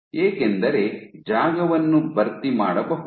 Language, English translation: Kannada, Because you can have the space filling